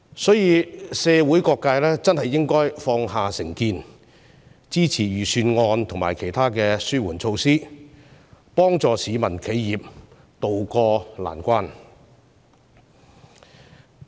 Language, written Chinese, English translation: Cantonese, 所以，社會各界應該放下成見，支持預算案和其他紓緩措施，令市民和企業能渡過難關。, Therefore all sectors of society should set aside their prejudices to support the Budget and other relief measures so that people and enterprises can get through this difficult time